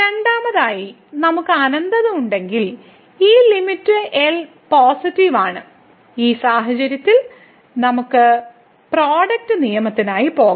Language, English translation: Malayalam, Second, if we have infinity and then this limit is positive, in this case we can go for the product rule